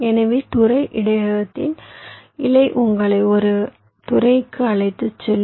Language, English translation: Tamil, so the leaf of the sector buffer will lead you to one of the sectors and each of the sector